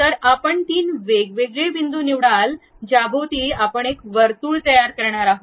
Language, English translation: Marathi, So, you pick three different points around which we are going to construct a circle